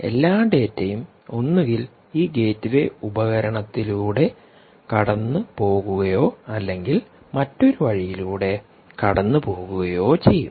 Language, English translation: Malayalam, huge amount of data, and all the data will either have to pass through this gateway device or pass through another alternate route